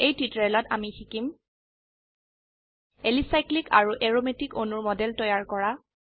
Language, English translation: Assamese, In this tutorial, we will learn to, Create models of Alicyclic and Aromatic molecules